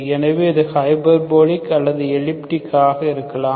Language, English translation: Tamil, So that can be either hyperbolic or elliptic